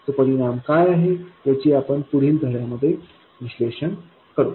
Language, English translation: Marathi, What that effect is we will analyze in the following lessons